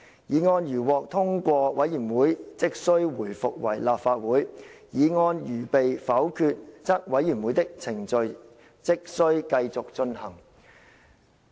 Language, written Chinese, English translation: Cantonese, 議案如獲通過，委員會即須回復為立法會；議案如被否決，則委員會的程序即須繼續進行。, If the motion is agreed to the Council shall resume; but if the motion is negatived the committee shall continue its proceedings